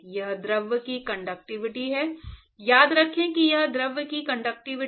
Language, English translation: Hindi, It is the conductivity of the fluid, remember that it is the conductivity of the fluid and not conductivity of the solid